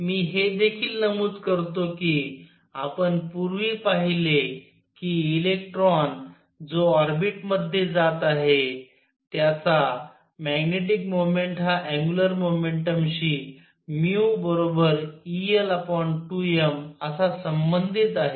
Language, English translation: Marathi, I also point out that we saw earlier that the magnetic moment of electron going around in an orbit was related to it is angular momentum as mu equals e l over 2 m